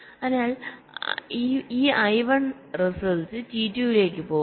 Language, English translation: Malayalam, so this i one in the result will go to t two